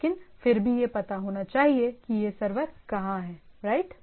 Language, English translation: Hindi, But nevertheless it should know where the server is right